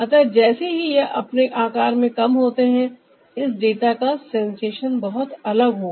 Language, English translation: Hindi, so as ah it reduces in size, the sensation, this ah data sensation, will be very different